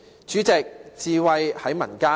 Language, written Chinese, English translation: Cantonese, 主席，智慧在民間。, President wisdom prevails in the community